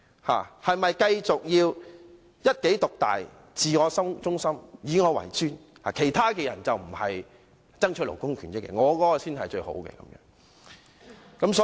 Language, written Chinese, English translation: Cantonese, 是否要繼續一己獨大、自我中心、以我為尊，認為其他人不是爭取勞工權益，自己的建議才是最好的？, Should he continue to be domineering self - centred and supercilious holding that others are not striving for labour rights and interests while only his proposals are the best?